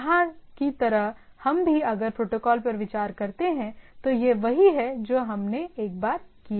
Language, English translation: Hindi, Like here also we if we consider protocol so, this is it is a what we did once this is there